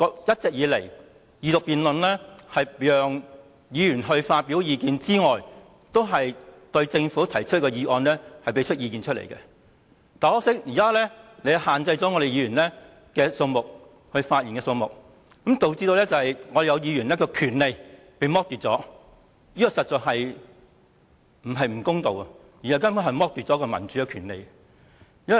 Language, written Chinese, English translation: Cantonese, 一直以來，二讀辯論除了是讓議員發表意見外，也是對政府提出的議案表達意見，但很可惜，現時主席卻限制了可以發言的議員的數目，導致有議員的權利遭剝奪，這不僅是不公道，根本是剝奪民主權利。, All along in the Second Reading debate Members are allowed to express their views on the question and to express their views on motions proposed by the Government but regrettably the President has now limited the number of Members allowed to speak depriving certain Members of their right . It is not only unfair but also a deprivation of democratic rights